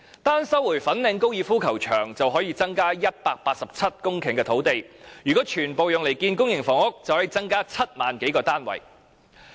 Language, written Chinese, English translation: Cantonese, 單是收回粉嶺高爾夫球場，便可以增加187公頃土地，如果全部用來興建公營房屋，便可以增加7萬多個單位。, The Government can resume these sites by simply not renewing the tenancy . By resuming the golf course in Fanling only 187 hectares of land can be provided which if totally devoted to building public housing can produce 70 000 - odd additional units